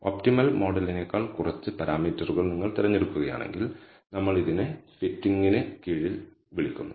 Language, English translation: Malayalam, If you choose less number of parameters than the optimal model, we call this under fitting